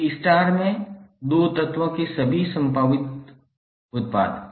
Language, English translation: Hindi, All possible products of 2 elements in a star